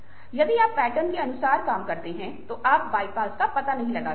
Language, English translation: Hindi, so if you work according to patterns, then you do not explore the bypaths